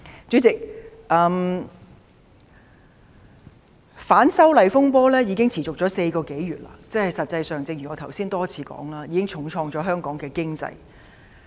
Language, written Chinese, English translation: Cantonese, 主席，反修例風波已持續4個多月，正如我剛才多次提到，實際上已重創香港的經濟。, President the furore caused by the opposition to the legislative amendment has persisted for more than four months and as I said time and again just now actually the Hong Kong economy is already hard hit